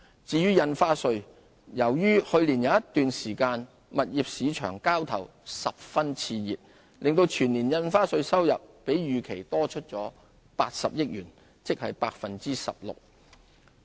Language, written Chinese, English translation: Cantonese, 至於印花稅，由於去年有一段時間物業市場交投十分熾熱，令全年印花稅收入比預期多80億元，即 16%。, As a result of a period of hectic trading in the property market last year stamp duty revenue for the whole year would be 8 billion or 16 % higher than estimated